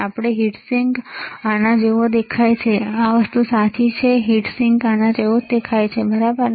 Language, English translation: Gujarati, We have seen heat sink looks like this, this thing right heat sink looks like this, all right